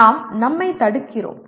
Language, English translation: Tamil, We just kind of block ourselves